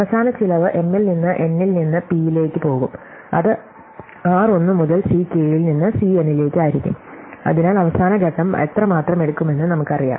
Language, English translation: Malayalam, So, the final cost is going to be m into n into p which is r 1 into C k into C n, so we know how much the last step takes